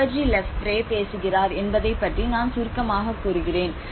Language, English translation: Tamil, So that is where I can just briefly talk about what Lefebvre talks about